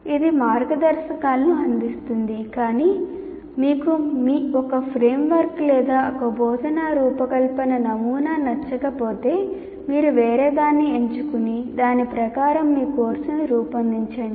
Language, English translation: Telugu, It provides guidelines, but if you don't like one particular framework or one instructional design model as we call it, you choose something else and design your course according to that